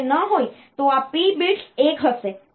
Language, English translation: Gujarati, If it is not then this p bit will be 1